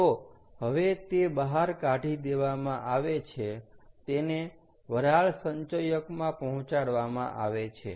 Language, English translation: Gujarati, ok, so as it is extracted out, it is fed into what is called a steam accumulator